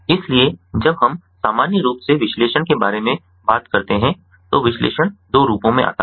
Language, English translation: Hindi, so when we talk about analysis in general, broadly, analysis comes in two forms